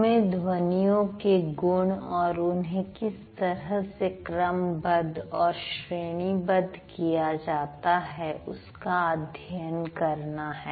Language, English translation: Hindi, So, we have to check or we have to study property of sounds and the way these sounds are arranged, the way these sounds are categorized